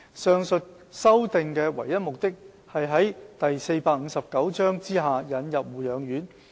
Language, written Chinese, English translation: Cantonese, 上述修訂的唯一目的是在第459章下引入護養院。, The amendments are made for the sole purpose of introducing nursing homes under Cap . 459